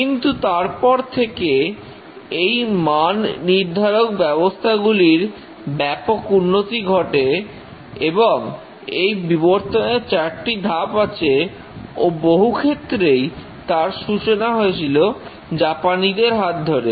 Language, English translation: Bengali, But since then the quality systems have rapidly evolved and there are four stages of evolution and many advances originated by the Japanese